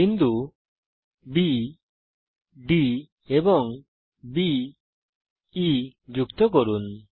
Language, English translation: Bengali, Join points B, D and B , E